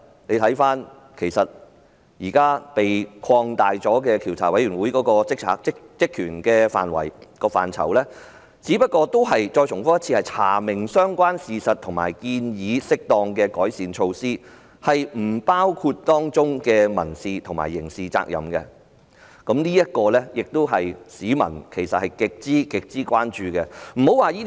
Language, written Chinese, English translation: Cantonese, 現時獨立調查委員會的職權範圍得到擴大，只不過是"查明相關事實"和"建議適當的改善措施"，並不包括當中涉及的民事和刑事責任，這是市民極為關注的。, Now the terms of reference of the independent Commission of Inquiry have been expanded but only to ascertain relevant facts and recommend appropriate improvement measures excluding the civil and criminal liability involved . It is of grave concern to the people